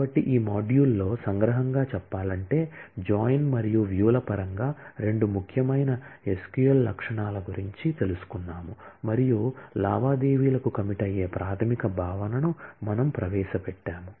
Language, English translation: Telugu, So, to summarize in this module, we have learnt about two important SQL features in terms of join and views and we just introduced the basic notion of committing transactions